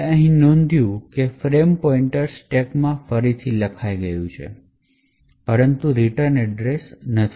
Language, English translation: Gujarati, We note that the frame pointer present in the stack has been overwritten but not the return address